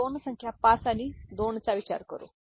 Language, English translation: Marathi, So, let us consider two numbers 5 and 2